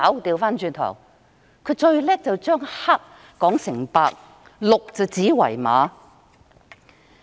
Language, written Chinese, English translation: Cantonese, 他最擅長是把黑說成白，鹿指為馬。, He is so good at reversing black and white and calling a stag a horse